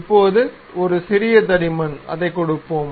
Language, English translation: Tamil, Now, a small thickness let us give it